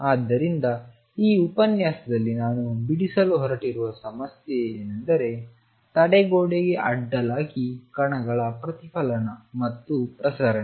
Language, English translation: Kannada, So, the problem I am going to tangle in this lecture is the reflection and transmission of particles across a barrier